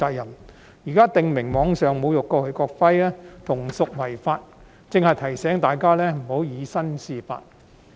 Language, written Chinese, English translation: Cantonese, 現在《條例草案》訂明在網上侮辱國旗和國徽同屬違法，正是提醒大家不要以身試法。, Now that the Bill stipulates that online desecrating acts in relation to the national flag and national emblem is also an offence . It serves precisely as a reminder to all of us that we must not break the law